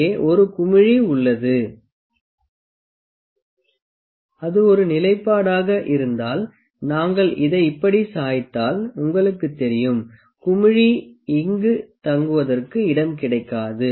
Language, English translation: Tamil, And there is a bubble here, if it is a stationed you know if we tilts like this on this, the bubble wouldn’t find a space to stay here